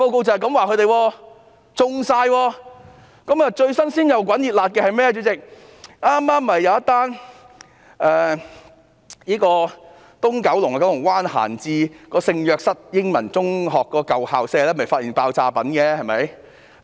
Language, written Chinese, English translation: Cantonese, 主席，近期最新鮮滾熱辣的事件，就是一宗在九龍灣閒置的聖若瑟英文中學舊校舍搗破的爆炸品發現案。, Chairman the latest and hottest news of the city is the discovery of explosives in the idle school premises of St Josephs Anglo - Chinese School in Kowloon Bay